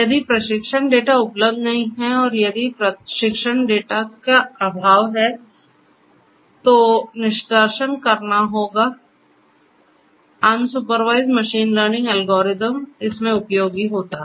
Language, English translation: Hindi, If training data is not available and if the feature extraction will have to be done in the absence of training data unsupervised machine learning algorithms are useful